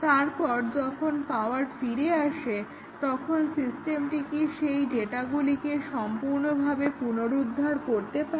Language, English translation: Bengali, And then, once the power is given back, does it the systems recover those data properly